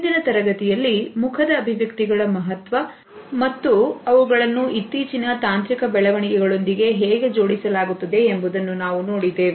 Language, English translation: Kannada, In the previous module, we had seen the significance of facial expressions and how they are being linked with the latest technological developments